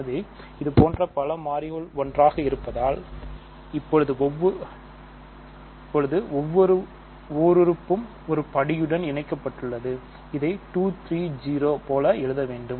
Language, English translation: Tamil, So, several such things together so, now each monomial as a degree attached to this is like 2 3 0